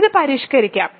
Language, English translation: Malayalam, So, let us modify this